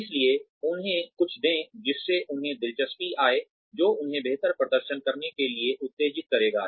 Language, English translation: Hindi, So, give them something, that will make them interested, that will stimulate them, to perform better